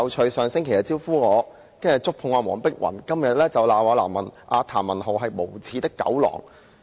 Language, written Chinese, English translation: Cantonese, 他上星期"招呼"我，然後觸碰黃碧雲議員，到今天又罵譚文豪議員是"無耻的狗狼"。, Last week he touched Dr Helena WONG after giving me a treat . Today he scolded Mr Jeremy TAM describing him as a shameless dog wolf